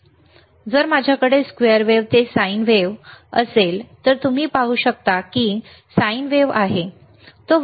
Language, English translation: Marathi, So now, if I have from the square wave 2to sine wave, you can see there is a sine wave, right